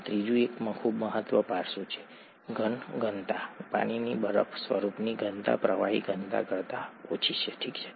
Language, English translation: Gujarati, This third one is a very important aspect, the solid density; the density of ice form of water is lower than the liquid density, okay